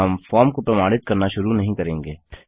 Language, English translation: Hindi, We wont start validating the form